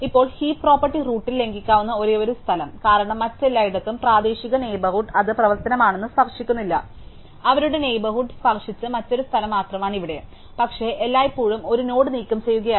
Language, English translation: Malayalam, Now, the only place where the heap property can be violated at the root, because everywhere else the local neighborhood was not touched by this operation, you only other place their neighborhood was touch to is here, but always did was remove a node